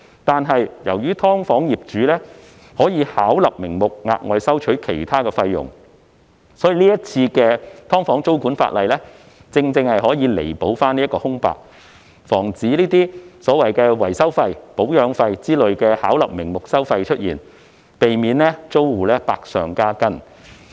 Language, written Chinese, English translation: Cantonese, 但是，由於"劏房"業主可以巧立名目地額外收取其他費用，所以這次"劏房"租管的修例正好填補這片空白，防止所謂維修費、保養費等巧立名目的收費出現，避免租戶百上加斤。, However as SDU landlords can charge additional fees under different pretexts the current legislative amendment for introducing tenancy control on SDUs just fills this gap and prevents overcharging under pretexts such as maintenance fees and repair fees which may bring additional burden to tenants